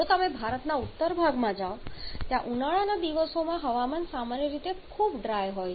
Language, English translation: Gujarati, Whereas if you go to the northern part of India where the weather generally very dry